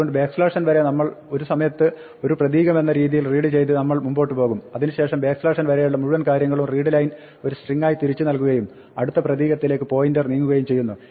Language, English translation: Malayalam, So, we will move forward reading one character at a time until we have backslash n, then everything up to the backslash n will be returned as the effect to a string return by the readline and pointer move to the next character